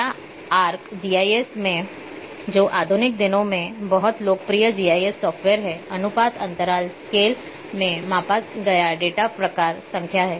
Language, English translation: Hindi, Or in ArcGIS which is modern days very popular GIS software the data measured in ratio interval scales are type number